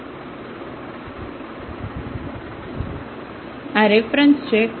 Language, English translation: Gujarati, So, these are the references